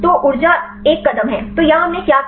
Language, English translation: Hindi, So, energy is one step; so here what we did